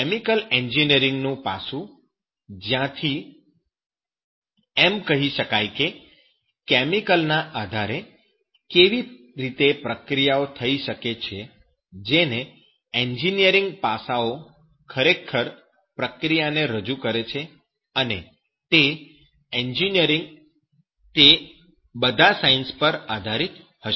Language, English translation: Gujarati, The aspect of chemical engineering from where you can say that based on the chemical, how it can be processed so that that engineering aspects actually represent processing and that engineering will be based on that the science that is of all streams